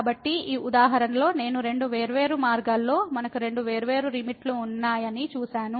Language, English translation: Telugu, So, I will again in this example we have seen that along two different paths, we have two different limits